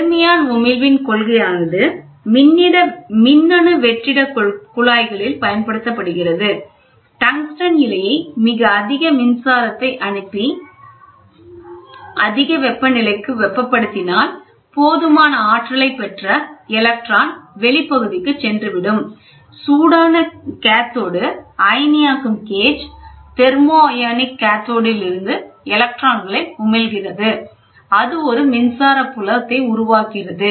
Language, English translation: Tamil, The principle of thermion emission is employed in electronic vacuum tubes; when the tungsten filament is heated at a very high temperature passing, very high current, the electrons acquire sufficient energy and moved into the space, the hot cathode ionization gauge, the electron emit from the thermionic cathode will be accelerated in an electric field